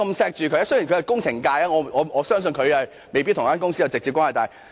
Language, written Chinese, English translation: Cantonese, 雖然他是工程界人士，但我相信他未必與這間公司有直接關係。, Although he is a member of the engineering sector I believe he may not have any direct relationship with this company